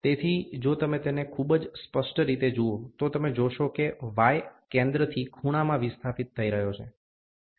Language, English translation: Gujarati, So, if you look at it very clearly, you see the y is getting displaced from the center to a corner